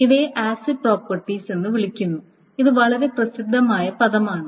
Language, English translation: Malayalam, These are called the acid properties and this is a very famous term